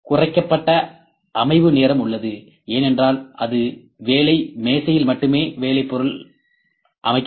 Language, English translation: Tamil, Reduced setup time is there, there just because the only work piece it will be set on the work table